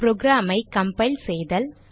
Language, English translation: Tamil, To compile the program